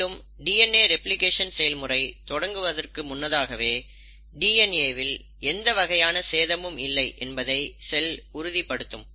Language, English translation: Tamil, And, before the cell actually commits and starts doing the process of DNA replication, it has to make sure that there is no DNA damage whatsoever